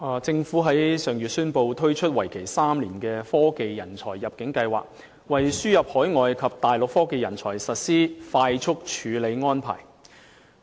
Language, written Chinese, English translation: Cantonese, 政府於上月宣布推出為期3年的科技人才入境計劃，為輸入海外及大陸科技人才實施快速處理安排。, The Government announced last month the rolling out of a three - year Technology Talent Admission Scheme TechTAS to implement a fast - track arrangement for the admission of overseas and Mainland technology talents